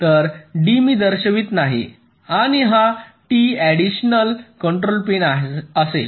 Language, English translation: Marathi, so d i am not showing, and this t will be the extra additional control pin